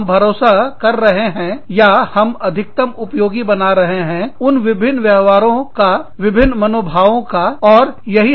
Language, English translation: Hindi, We are banking on, or, we are making the maximum use of, the different behaviors, the different attitudes, the different ways of dealing with, different situations, our employees bring to the table